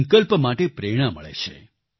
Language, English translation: Gujarati, There is inspiration for resolve